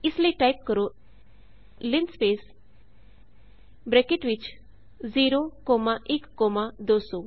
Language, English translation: Punjabi, we do that by typing linspace within brackets 0 comma 1 comma 200